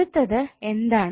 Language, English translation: Malayalam, Now what next